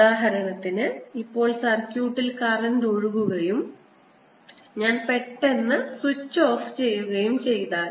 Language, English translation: Malayalam, this would happen, for example, if in the circuit there was a current flowing and i suddenly took switch off